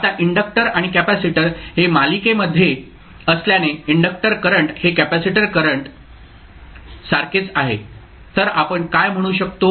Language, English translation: Marathi, Now, since the inductor and capacitor are in series the inductor current is the same as the capacitor current, so what we can say